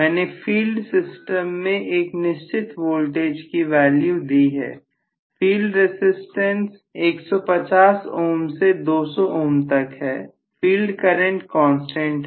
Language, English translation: Hindi, I have applied a particular value of voltage to the field system so the field resistance is fixed 150 ohms to 200 ohms, the filed current is a constant